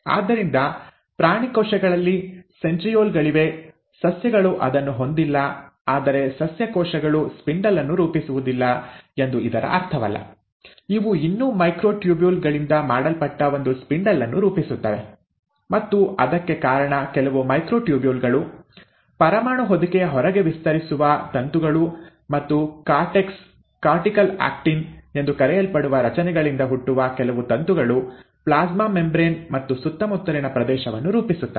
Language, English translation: Kannada, So in animal cells, there are centrioles, plants do not have it, but that does not mean that the plant cells do not form a spindle; they still form a spindle which is made up of microtubules, and that is because of some of the microtubules, filaments which extend outside of the nuclear envelope and also some of the filaments which originate from structures called as cortex, cortical actin rather form the region in and around the plasma membrane